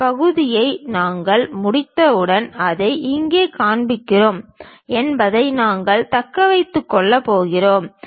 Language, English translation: Tamil, Once we are done this part whatever we are going to retain that we are showing it here